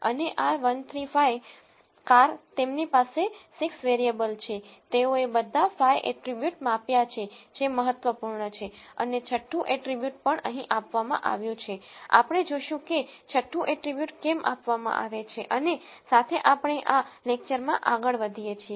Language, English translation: Gujarati, And this 135 cars they have 6 variables, they have measured all the 5 attributes which are important and the 6 attribute is also given here we will see why the 6 attribute is given and so on as we go on in this lecture